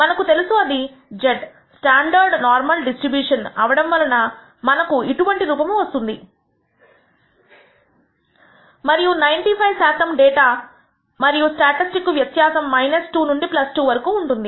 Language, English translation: Telugu, Now, we know that this z, because it is a standard normal distribution, will have some shape like this and about 95 per cent of the time the data the statistic will have a value between around minus 2 to plus 2